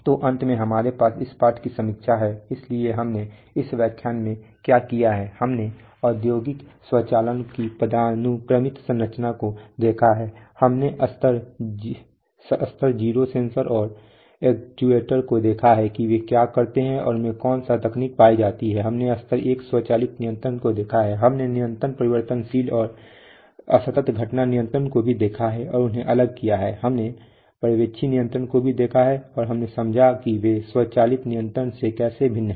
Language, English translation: Hindi, So finally we have a lesson review, so what we have done in this lecture we have looked at the hierarchical structure of industrial automation, we have looked at level 0 the sensors and actuators what they do and what technologies are found in them, we have looked at level 1 automatic control, we have also looked at continuous variable and discrete event control and distinguish them, we have looked at supervisory control and we have understood how they are different from automatic control